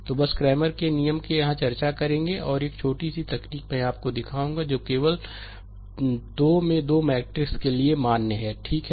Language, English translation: Hindi, So, just cramers rule we will discuss here, and one small technique I will show you which is valid only for 3 into 3 matrix, right